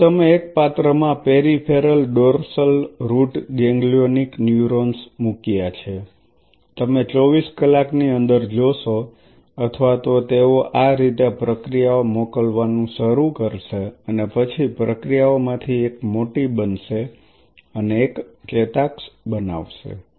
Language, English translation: Gujarati, So, you played these, peripheral dorsal root ganglionic neurons in a dish, you will see within 24 hours or so they will start sending out the processes like this and then one of the processes will become larger and will form an axon you allow that part to happen